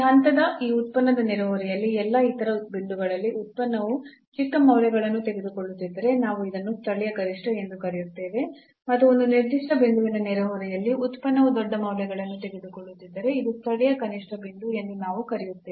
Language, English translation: Kannada, So, if at all other points in the neighborhood of this function of this point the function is taking smaller values then we call that this is a local maximum and if the function is taking larger values in the neighborhood of a certain point then we call that this is a point of local minimum